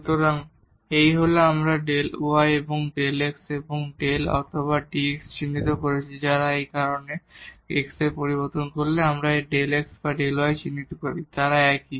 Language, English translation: Bengali, So, this is we have denoted delta y and this delta x and delta or dx they are the same because change in the x whether we denote by this delta x or delta y they are the same